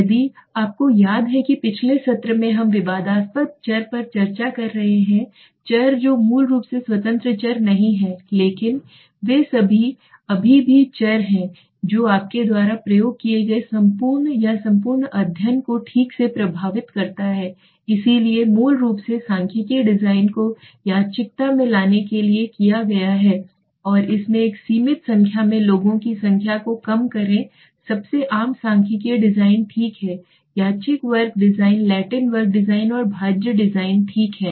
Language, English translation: Hindi, Which if you remember in the last session we are discussed extraneous variables are those variables which are basically not exactly the independent variables but they are still variables which affects the entire you know experiment or the entire study right so okay so these are basically the statistical design have been done to bring in the randomness factored into it and reduce the number of experiments to a limited number okay the most common statistical designs are the randomized block design the Latin square design and the factorial design okay